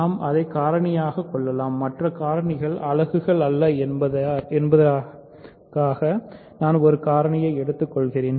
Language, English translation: Tamil, So, we can factor it; so, I am taking one of the factors so that the other factors are not units